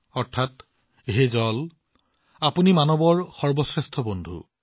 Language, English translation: Assamese, Meaning O water, you are the best friend of humanity